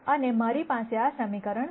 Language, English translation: Gujarati, And I have this equation right here